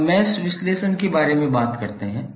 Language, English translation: Hindi, Now, let us talk about mesh analysis